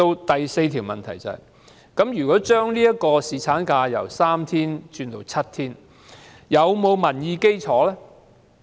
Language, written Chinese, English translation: Cantonese, 第四個問題是，把侍產假由3天增至7天，是否具有民意基礎？, The fourth question is Is the extension of paternity leave from three days to seven days supported by the public?